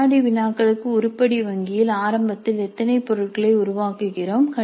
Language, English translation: Tamil, Now how many items do we create initially in the item bank for quizzes